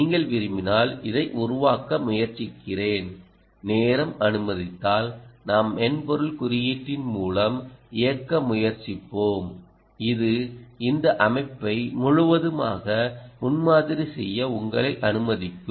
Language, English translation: Tamil, ah, i try to build this if you wish and if time permits, we will also try to run through the software code which we will allow you to prototype ah, this system completely